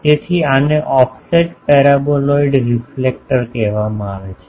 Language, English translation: Gujarati, So, this is called offset paraboloid reflector